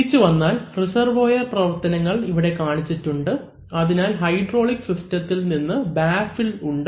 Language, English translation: Malayalam, So, coming back, so you see that the functions of the reservoir are shown, so from hydraulic system there is something called a baffle